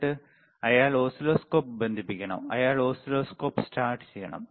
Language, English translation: Malayalam, And then, he has to connect the oscilloscope, he has to start the oscilloscope